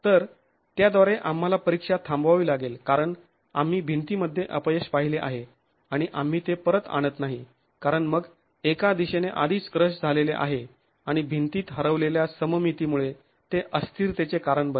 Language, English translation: Marathi, So, with that we have to stop the test because you have seen failure in the wall and we do not bring it back because then it causes instability due to one end already crushed and symmetry lost in the wall